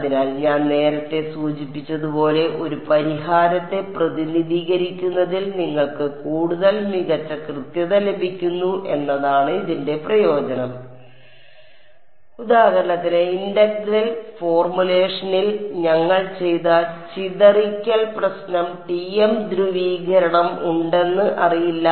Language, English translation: Malayalam, So, as I mentioned earlier the advantage of this is that you get much better accuracy in representing a solution and for example, the scattering problem which we did in the integral formulation are unknown there was E z TM polarization